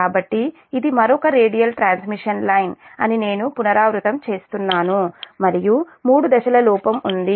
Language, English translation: Telugu, so i repeat that this is another radial transmission line and there is a three phase fault, say so